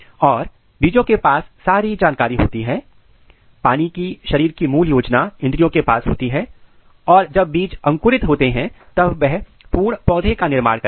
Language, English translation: Hindi, And the seeds has all the information, all the basic body plan in embryo and when we take the seeds, germinate it makes the complete plant